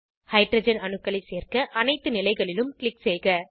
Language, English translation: Tamil, Click on all the positions to add hydrogen atoms